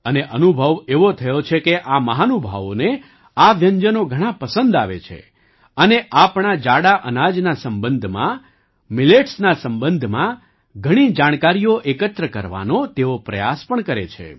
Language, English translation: Gujarati, And the experience has been that these dignitaries have very much relished them and they also try to collect a lot of information about our coarse grains, about Millets